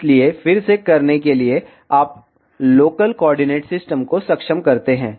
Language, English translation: Hindi, So, to do that again, you enable local coordinates system